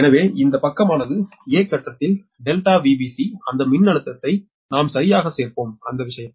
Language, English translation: Tamil, so this side that in the phase a, that delta v b c, that voltage, we will be added right